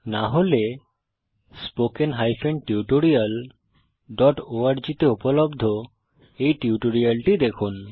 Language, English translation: Bengali, If not, please see the spoken tutorial on these topics available at spoken tutorial.org